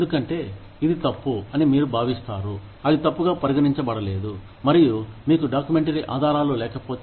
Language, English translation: Telugu, Just because, you feel it is wrong, it may not be considered wrong, and unless you have documentary evidence